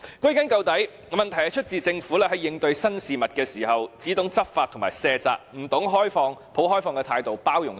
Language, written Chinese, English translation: Cantonese, 歸根究底，問題是出自政府在應對新事物時，只懂執法和卸責，不懂抱開放的態度去包容。, After all is said and done the problem arises because the Government when dealing with new things only knows how to enforce the law and shirk responsibilities rather than embracing them with an open attitude